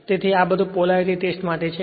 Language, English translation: Gujarati, Next is Polarity Test